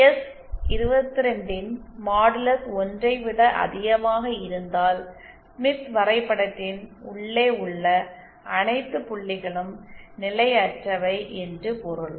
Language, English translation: Tamil, If modulus of s22 is greater than 1 then it means all points inside the smith are potentially unstable